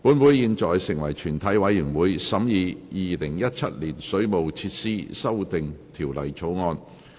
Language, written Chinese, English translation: Cantonese, 本會現在成為全體委員會，審議《2017年水務設施條例草案》。, Council now becomes committee of the whole Council to consider the Waterworks Amendment Bill 2017